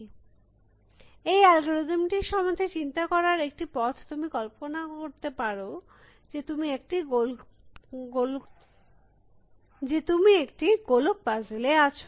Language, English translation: Bengali, So, one way of thinking about this search algorithms is to imagine that, you are in a maze